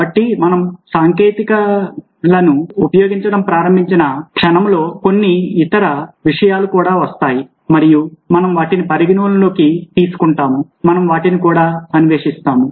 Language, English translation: Telugu, so the moment we start using technologies, certain other things also come in and we will take all away, will take cognition to those and we will explore them as well